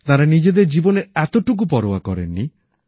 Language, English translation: Bengali, They did not care a bit for their own selves